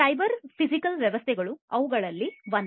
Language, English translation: Kannada, 0; Cyber Physical Systems is one of them